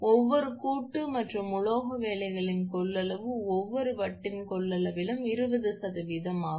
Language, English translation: Tamil, The capacitance of each joint and metal work is 20 percent of the capacitance of each disc